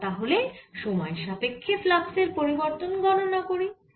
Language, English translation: Bengali, now so let's calculate the ah change in the flux with respect to time